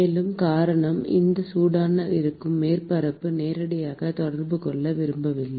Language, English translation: Tamil, And the reason is that, you do not want to have a direct contact with the surface which is hot